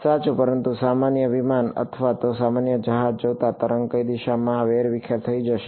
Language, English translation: Gujarati, Right, but given a general aircraft or a general ship, what direction will the wave gets scattered into